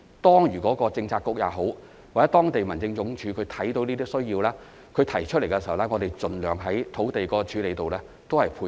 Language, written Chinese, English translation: Cantonese, 當政策局或當區民政事務處看到有這些需要，並提出有關事宜時，我們盡量在處理土地上配合。, When any Policy Bureau or the District Office of a district has noted such a need and voiced the matter we will try to accommodate it in respect of land disposal